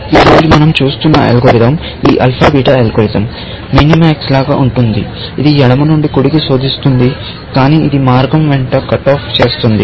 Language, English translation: Telugu, The algorithm that we are looking at today; this alpha beta algorithm, essentially, is like minimax, in the sense that its searches from left to right, but it does cut offs along the way